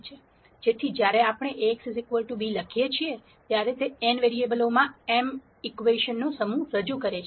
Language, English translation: Gujarati, So, when we write Ax equal to b, this represents a set of m equations in n variables